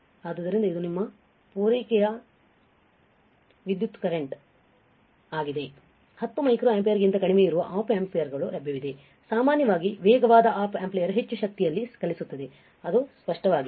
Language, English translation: Kannada, So, the this is your supply current, there are lower Op Amps available that run on less than 10 micro ampere usually the faster Op amp runs on more power, it is obvious it is obvious